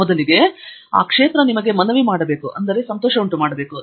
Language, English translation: Kannada, First of all, it should appeal to you; only then you should be getting into it